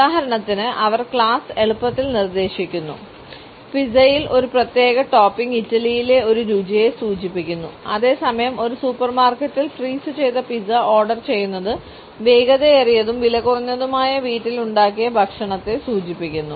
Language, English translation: Malayalam, They easily suggest class for example, a particular topping on a pizza signifies a taste in Italy whereas, ordering a frozen pizza in a supermarket signifies a fast and cheap home cooked meal